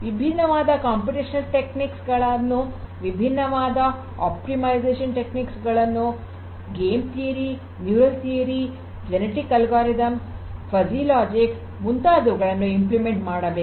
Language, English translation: Kannada, So, different computational techniques will have to be implemented, different optimization techniques game theory, neural networks you know genetic algorithms, or you know fuzzy logic or anything you know